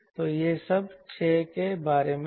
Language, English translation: Hindi, so that was all about six